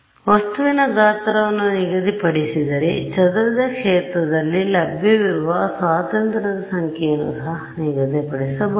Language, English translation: Kannada, So, if the object size is fixed, the number of degrees of freedom available on the scattered field is also fixed